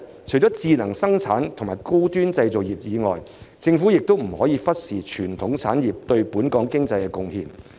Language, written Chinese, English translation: Cantonese, 除智能生產和高端製造業外，政府亦不可忽視傳統產業對本港經濟的貢獻。, Apart from smart production and high - end manufacturing the Government should not overlook the contribution of traditional industries to our economy